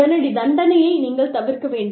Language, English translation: Tamil, You must avoid, immediate punishment